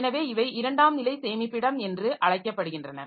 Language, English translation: Tamil, So, these are called secondary storage